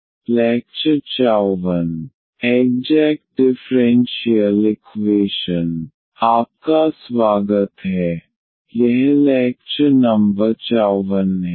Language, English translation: Hindi, So, welcome back this is lecture number 54